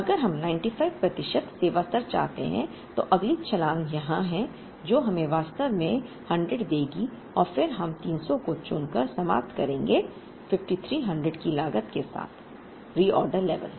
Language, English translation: Hindi, If we want 95 percent service level, the next jump is here, which would give us actually 100 and then we would end up choosing 300 as the reorder level, incurring a cost of 5300